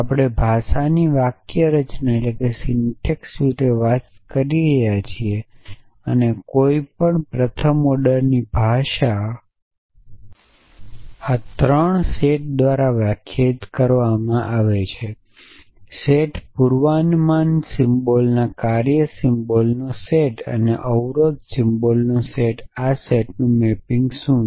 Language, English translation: Gujarati, So, we are talking about the syntax of the language the any first order language is defined by these 3 sets; a set predicate symbol a set of function symbol and a set of constraint symbols what is the mapping of this sets